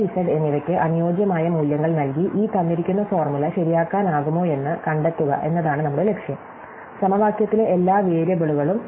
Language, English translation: Malayalam, So, our goal is to find out whether this given formula can be made true by assigning suitable values to x, y and z; all the variables in the formula